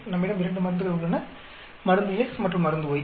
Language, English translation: Tamil, We have two drugs, drug X and drug Y